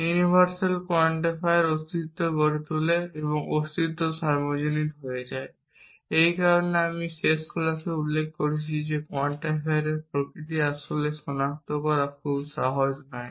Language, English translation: Bengali, Universal quantifier becomes existential and existential becomes universal, which is why I had mention in the last class at it is not very easy to identify what is really the nature of the quantifier